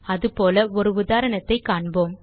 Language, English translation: Tamil, We can see such an example here